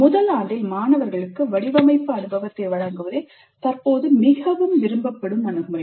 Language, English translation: Tamil, A more forward favored approach currently is to provide design experience to the students in the first year itself